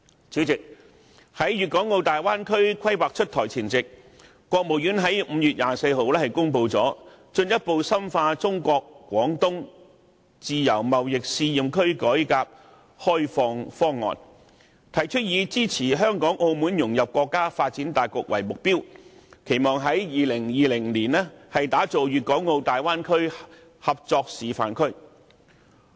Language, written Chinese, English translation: Cantonese, 主席，在《規劃》出台前夕，中華人民共和國國務院在5月24日公布了《進一步深化中國自由貿易試驗區改革開放方案》，提出以支持港澳融入國家發展大局為目標，期望在2020年打造大灣區合作示範區。, President the Bay Area development plan is to be released soon and before that on 24 May the State Council of the Peoples Republic of China announced the Plan on Further Deepening the Reform and Opening - up in the China Guangdong Pilot Free Trade Zone the Plan . The Plan puts forth the vision of establishing a Bay Area Cooperation Demonstration Zone in the year 2020 with the objective of assisting Hong Kong and Macao in fitting into the countrys overall scheme of development